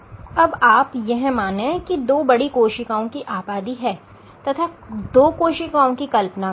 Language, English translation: Hindi, So, if you have two cells imagine if two big populations of cells